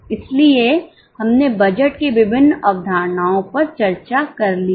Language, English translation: Hindi, So, we have discussed various concepts of budgets